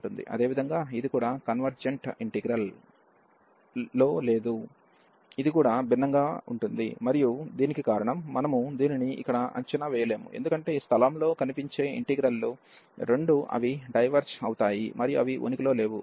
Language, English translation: Telugu, Similarly, this is also not in convergent integral, this also diverges and that is the reason, we cannot evaluate this here, because both the integrals appearing at this place they diverges and they do not exist